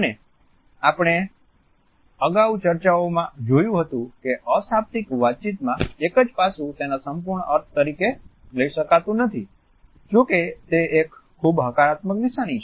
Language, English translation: Gujarati, And as we had seen in our earlier discussions a single aspect of non verbal communication cannot be taken up as being the final meaning; however, it is a very positive indication